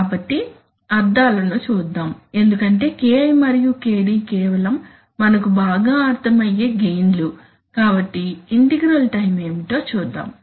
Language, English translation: Telugu, So let us see the meanings because Ki and Kd we understand very well they are just simply the gain terms, so let us see what is integral time